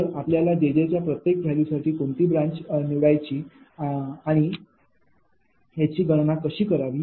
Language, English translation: Marathi, so for each value of jj you will be knowing which branch and how to compute this one right